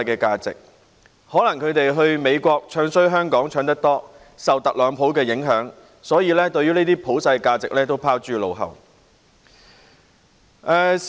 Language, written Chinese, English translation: Cantonese, 他們可能經常到美國詆毀香港，受特朗普的影響多了，所以把這些普世價值都拋諸腦後。, Perhaps the opposition go to the United States so often to discredit Hong Kong that they have come under more influence from Donald TRUMP to cast aside all these universal values